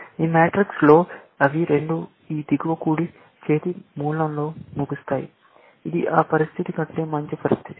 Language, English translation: Telugu, In this matrix, they will both end up in this lower right hand corner, which is the better situation than that situation